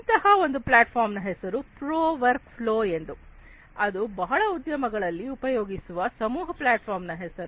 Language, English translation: Kannada, One such platform is named known as pro work flow that is the name of a collaboration platform that is often used in the industries